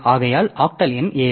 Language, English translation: Tamil, So the octal number is seven